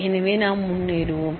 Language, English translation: Tamil, So, let us move on